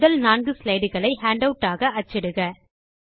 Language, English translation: Tamil, Print the first four slides as a handout